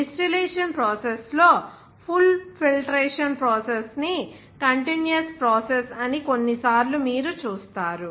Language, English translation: Telugu, Even sometimes you will see that the pull filtration process in the distillation process those are a continuous process